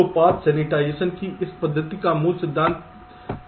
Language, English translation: Hindi, ok, so the basic principle of this method of path sensitization is like this